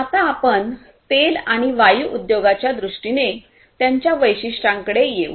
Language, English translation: Marathi, Now, let us come to the specificities in terms of Oil and Gas Industry